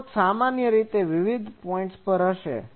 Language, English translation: Gujarati, Source will be in general in a different points